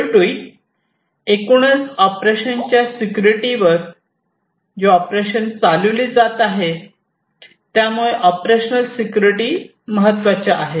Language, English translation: Marathi, And finally, overall the operations that are being carried on security of the operation, so operational security